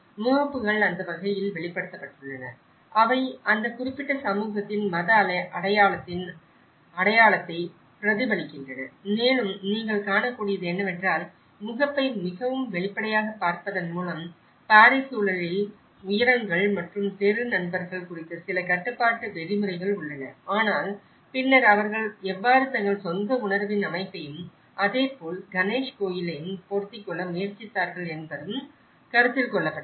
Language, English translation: Tamil, But how they are reflected back in a foreign context, so the facades have been manifested in such a way, that they reflect the identity of the religious identity of that particular community and what you can see is so by looking it the facade so obviously, there are certain control regulations of heights and the street friends in the Paris context but then still considering those how they have tried to fit with this with a setting of their own sense of belonging and similarly, with the temple Ganesh